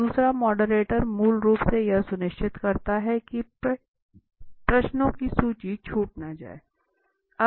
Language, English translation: Hindi, So the second moderator basically he ensures that these list of questions are not missed okay